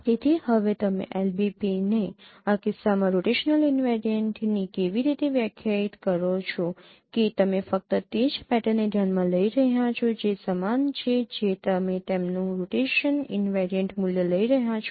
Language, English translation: Gujarati, So now how do you define the LBP in this case rotational invariant that you are considering only those pattern which is uniform you are taking their rotation invariant value